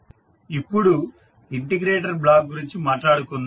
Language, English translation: Telugu, Now, let us talk about the integrator block